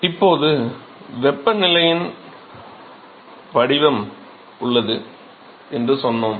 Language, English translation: Tamil, Now we said that there is a the temperature profile is similar